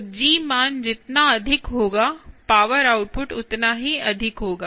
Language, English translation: Hindi, so higher g, so higher the g value, higher is the power output, is the power output, power output